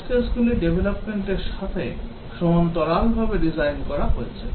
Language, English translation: Bengali, The test cases are designed in parallel with development